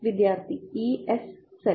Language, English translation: Malayalam, Students: 1 by s z